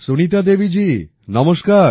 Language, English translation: Bengali, Sunita Devi ji, Namaskar